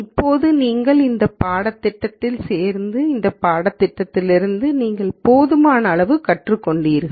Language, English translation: Tamil, Now, that is you have done this course and hopefully you have learned enough from this course